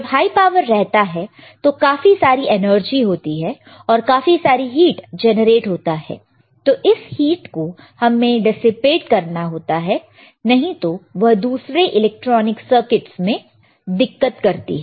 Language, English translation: Hindi, When there is a high power there is a high energy lot of a heat, and heat we need to dissipate, otherwise it will cause difficulties in other the other electronic circuits